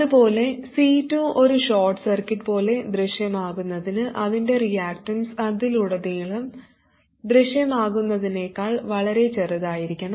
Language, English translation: Malayalam, Similarly, for C2 appear like a short circuit, it should be such that its reactants is much smaller than whatever appears across it